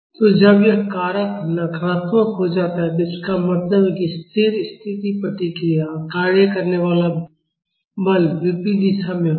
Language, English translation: Hindi, So, when this factor becomes negative, it means that the steady state response and the force acting will be in opposite direction